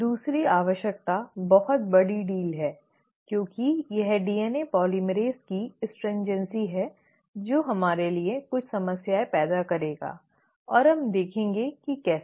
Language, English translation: Hindi, The second requirement is the more bigger of a deal because it is this stringency of DNA polymerase which will create some problems for us and we will see how